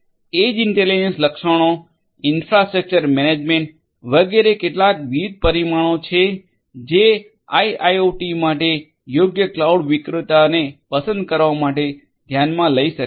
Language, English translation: Gujarati, So, edge intelligence features infrastructure management these are some these different parameters that can be taken into consideration for choosing the right cloud vendor for IIoT